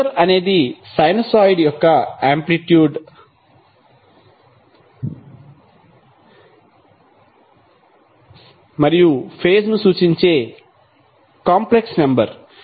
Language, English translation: Telugu, So how we will define phaser is a complex number that represents the amplitude and phase of sinusoid